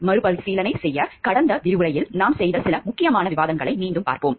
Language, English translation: Tamil, To have a recapitulation let us look back into the some of the important discussions we had on the last lecture